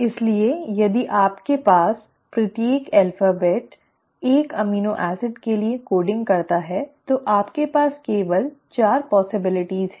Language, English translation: Hindi, So if you have each alphabet coding for one amino acid you have only 4 possibilities